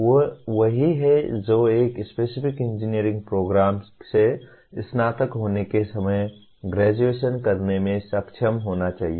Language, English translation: Hindi, They are what the graduate should be able to do at the time of graduation from a specific engineering program